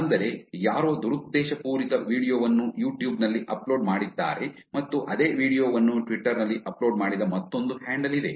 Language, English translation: Kannada, Somebody uploaded a malicious video on YouTube and there is another handle which uploaded the same video on Twitter